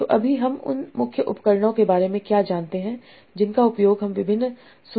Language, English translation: Hindi, So what are the, so right now what are the main tools that we use for doing this search of different information